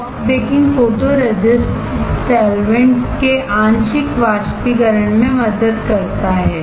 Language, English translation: Hindi, Soft baking helps for partial evaporation of photoresist solvents